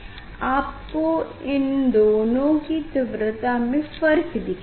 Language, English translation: Hindi, you will see the variation of the intensity of these two half